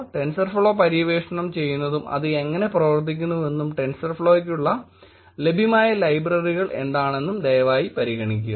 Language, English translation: Malayalam, Please consider exploring tensorflow little bit and how it works and what are the libraries that are available inside tensor flow